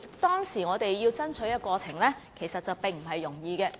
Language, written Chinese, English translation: Cantonese, 當時，我們的爭取過程其實並不容易。, The course of our fight at that time was by no means easy